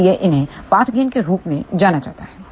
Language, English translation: Hindi, So, these are known as path gain